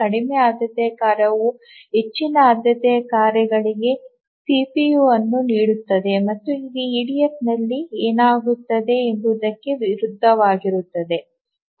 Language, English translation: Kannada, So, the lower priority task must yield the CPU to the highest priority task, to the higher priority tasks, and this is contrary to what used to happen in EDF